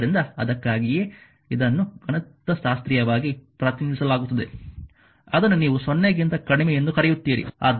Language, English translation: Kannada, So, that is why it is mathematically represent that is your what you call that t less than 0